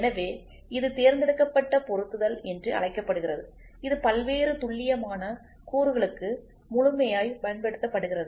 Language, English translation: Tamil, So, this is called as selective assembly, this is exhaustively used for various precision components